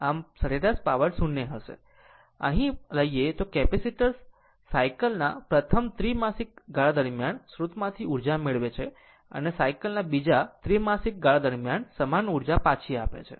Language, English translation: Gujarati, So, average power will be 0, but if you take the here also, the capacitor receives energy from the source during the first quarter of the cycle and returns to the same amount during the second quarter of cycle